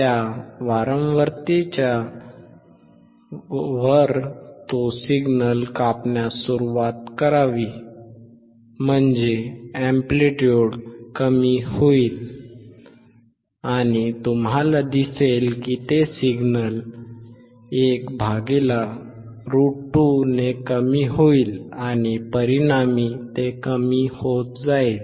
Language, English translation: Marathi, Above that frequency it should start cutting off the signal; that means, the amplitude will decrease, and you will see it will decrease by 1/Square root 2 of the signal and consequently it will keep on decreasing